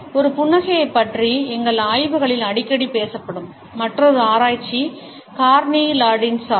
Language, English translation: Tamil, Another research which is often talked about in our studies of a smile is by Carney Landis